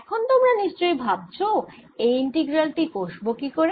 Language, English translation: Bengali, alright, now you must be wondering how to calculate this integral